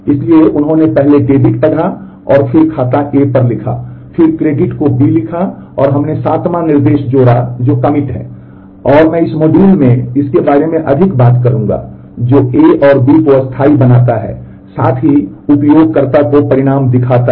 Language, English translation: Hindi, So, he first read debit and then write on account A and then read credit and write to account B and we have added a 7th instruction, which is commit and I will talk more about that in this module which makes that changes to A and B permanent and shows a result to the user as well